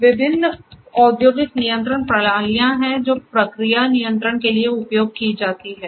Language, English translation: Hindi, So, there are different industrial control systems that are used for process control